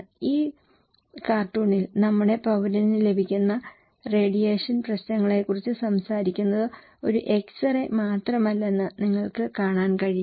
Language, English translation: Malayalam, In this cartoon, you can look that talking about the radiation issues that whatever radiations our citizen are getting is no more than an x ray